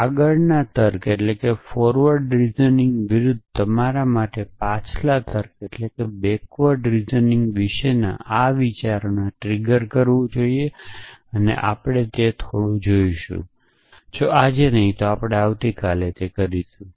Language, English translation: Gujarati, So, this off course should trigger this thoughts about forward reasoning versus backward reasoning for you and we will look at that little bit, if not today then we will tomorrow